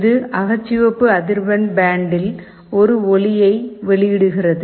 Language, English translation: Tamil, It emits a light, but in the infrared frequency band